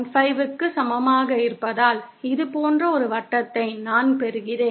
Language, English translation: Tamil, 5, I get a circle like this